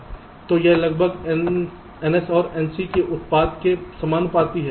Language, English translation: Hindi, so it is roughly proportional to the product of n